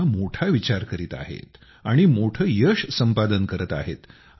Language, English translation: Marathi, They are thinking Big and Achieving Big